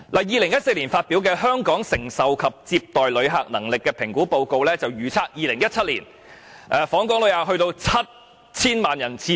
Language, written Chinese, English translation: Cantonese, 2014年發表的《香港承受及接待旅客能力評估報告》預測 ，2017 年訪港旅客將會上升至 7,000 萬人次。, The Assessment Report on Hong Kongs Capacity to Receive Tourists published in 2014 projected that Hong Kongs visitor arrivals would rise to 70 million in 2017